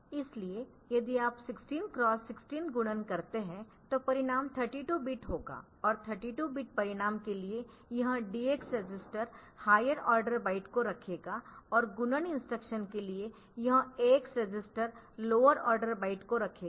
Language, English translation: Hindi, So, if you do 16 cross 16 multiplication the result will be 32 bit and for the 2 bit result this DX register will hold the higher order byte and this A X register will hold the lower order byte, for the multiplication instruction